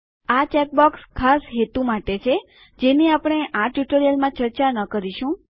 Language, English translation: Gujarati, These check boxes are for special purposes, which we will not discuss in this tutorial